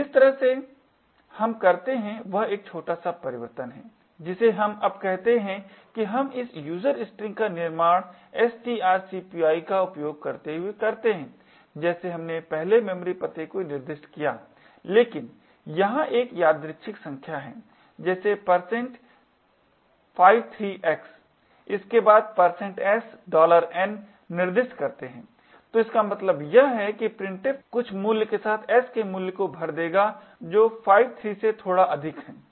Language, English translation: Hindi, what we say now is that we create this user string using strcpy as before we specify the memory address but here we specify an arbitrary number such as % 53x followed by the % 7$n, so what this means is that printf would fill the value of s with some value which is slightly greater than 53